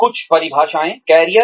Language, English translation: Hindi, Some definitions, Career